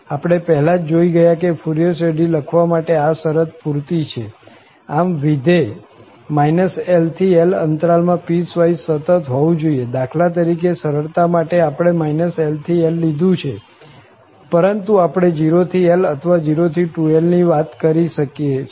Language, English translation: Gujarati, We have already seen that this is sufficient condition to write the Fourier series, so the function must be piecewise continuous in the interval minus L to L for instance, just for simplicity we choose minus L to L but we can also talk about 0 to L or 0 to 2L whatever